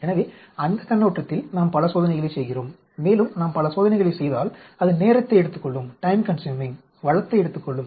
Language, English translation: Tamil, So we seem to be doing too many experiments from that point of view and also, if we do too many experiments it is going to be time consuming, resource consuming